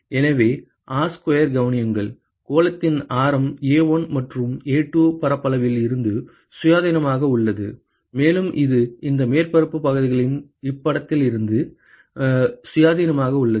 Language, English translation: Tamil, So, note that R square; the radius of the sphere is independent of what is the area of A1 and A2, and it is independent of the location of these surface areas